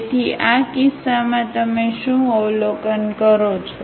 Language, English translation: Gujarati, So, what do you observe in this case